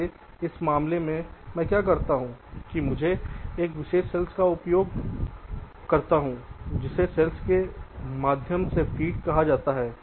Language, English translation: Hindi, so what i do in this case is that i used some special standard cells, which are called feed though cells